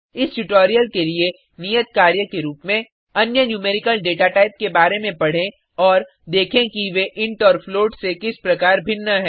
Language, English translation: Hindi, As an assignment for this tutorial, Read about other numerical data types and see how they are different from int and float